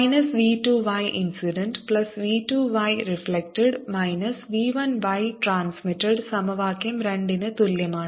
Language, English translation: Malayalam, equation one: minus v two: y incident plus v two y reflected is equal to minus v one y transmitted